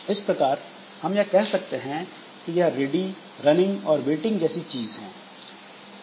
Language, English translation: Hindi, So that way we can have this ready running and waiting sort of thing